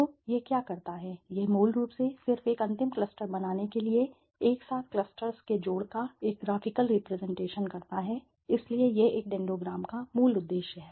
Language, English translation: Hindi, So, what it does is basically it just does a graphical representation of the adding up of the clusters together to form a single final cluster, right, so this is the basic purpose of a dendogram